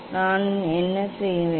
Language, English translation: Tamil, what I will do